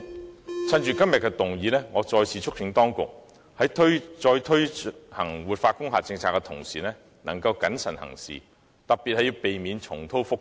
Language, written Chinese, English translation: Cantonese, 我想藉今天議案辯論的機會，再次促請當局，在再推行活化工廈政策的同時，應該謹慎行事，特別要避免重蹈覆轍。, I would like to take the opportunity of the motion debate today to urge the authorities once again that when restarting the revitalization scheme it is essential to proceed with caution and in particular avoid making the same mistake